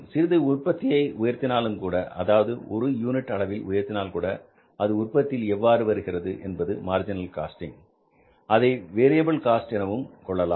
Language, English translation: Tamil, If you have the certain amount of the production and you increase it by one unit, then that cost which increases because of increase in the production by one unit, that is called as the marginal cost in a way you call it as the variable cost